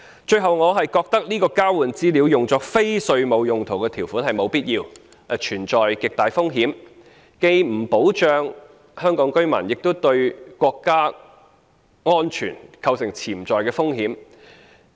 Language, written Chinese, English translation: Cantonese, 最後，我覺得這項交換資料作非稅務用途的條款是沒有必要，亦存在極大風險的，既不保障香港居民，亦對國家安全構成潛在風險。, Lastly I find this provision on the use of the exchanged information for non - tax related purposes unnecessary and enormously risky failing to protect the people of Hong Kong and posing potential risks to national security